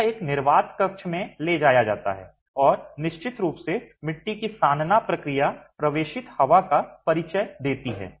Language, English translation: Hindi, So, it's taken into a dry, into a vacuum chamber and of course the kneading process of the clay introduces entrapped air